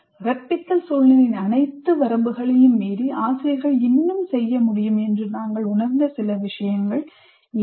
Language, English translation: Tamil, Okay, these are a few things that we felt teachers can still do in spite of all the limited limitations of the instructional situation they are in